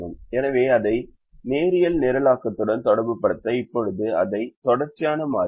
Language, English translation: Tamil, now we said that this is a binary problem, so to relate it to linear programming, we will now change it to a continuous variable